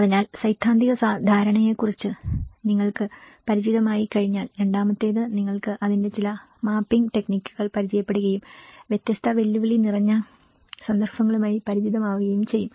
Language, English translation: Malayalam, So once you are familiar with the theoretical understanding, the second you are familiar with some of the mapping techniques of it and getting familiar with different challenging context